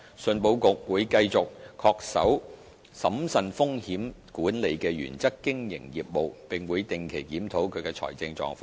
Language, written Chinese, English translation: Cantonese, 信保局會繼續恪守審慎風險管理的原則經營業務，並會定期檢討其財政狀況。, ECIC will continue to conduct its business within the bounds of prudent risk management and review its financial situation regularly